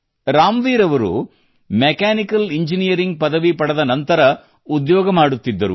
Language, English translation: Kannada, Ramveer ji was doing a job after completing his mechanical engineering